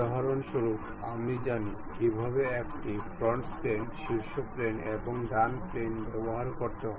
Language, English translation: Bengali, For example, we know how to use front plane, top plane and right plane